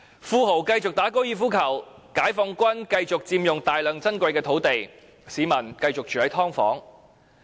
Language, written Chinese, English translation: Cantonese, 富豪繼續打高爾夫球，解放軍繼續佔用大量珍貴土地，市民繼續住"劏房"。, As a result the rich people continue to play golf PLA continues to occupy vast areas of precious land and the people continue to live in subdivided units